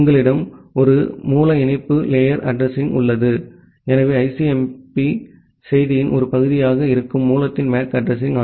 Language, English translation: Tamil, And you have a source link layer address, so the MAC address of the source which is a part of the ICMP message